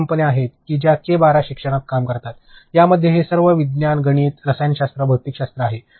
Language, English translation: Marathi, There are companies who work into K 12 education, in that it is all maths, science, chemistry, physics all of that is there